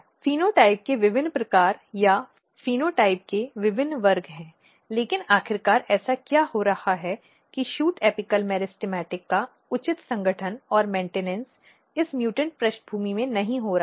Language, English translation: Hindi, There are different types of phenotype or different classes of phenotype, but eventually what is happening that the proper organization and maintenance of shoot apical meristematic is not happening in this mutant background